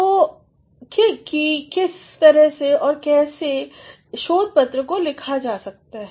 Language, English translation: Hindi, And, as to how and in what way a research paper can be written